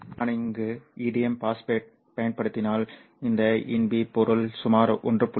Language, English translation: Tamil, It turns out that if I use indium phosphate over here, these in P materials have a band gap of about 1